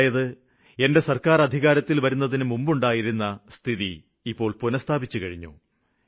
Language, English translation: Malayalam, This means that now same situation exists as it was prior to the formation of my government